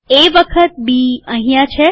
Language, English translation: Gujarati, A times B is here